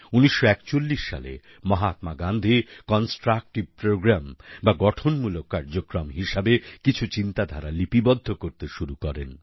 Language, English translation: Bengali, In 1941, Mahatma Gandhi started penning down a few thoughts in the shape of a constructive Programme